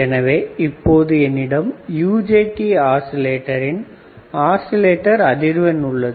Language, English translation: Tamil, So, now I have my oscillating frequency for UJT oscillator